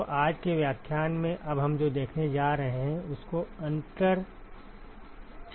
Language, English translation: Hindi, So, what we are going to see now is today’s lecture is called the ‘inside sphere method’